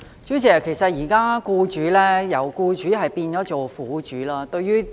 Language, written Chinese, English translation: Cantonese, 主席，其實現在"僱主"變了"苦主"。, President actually employers have now become victims